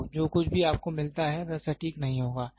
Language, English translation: Hindi, So, the reading whatever you get will be inaccurate